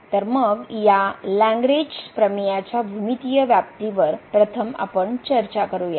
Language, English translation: Marathi, So, let us first discuss the geometrical interpretation of this Lagrange mean value theorem